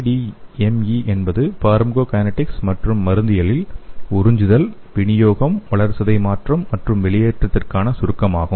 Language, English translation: Tamil, ADME is an abbreviation in pharmacokinetics and pharmacology for absorption, distribution, metabolism and excretion